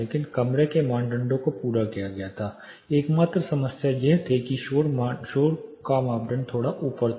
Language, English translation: Hindi, But pretty much the room a criterion was met only problem was the noise criteria was slightly above